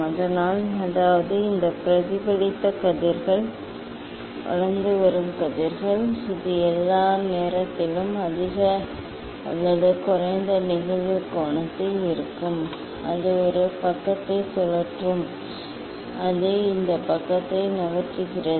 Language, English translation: Tamil, So; that means, these reflected rays emerging ray it will all the time for higher or lower incident angle, it will rotate this side, it will move this side